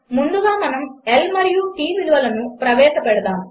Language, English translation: Telugu, First we will have to initiate L and T values